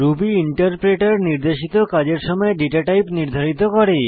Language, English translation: Bengali, Ruby interpreter determines the data type at the time of assignment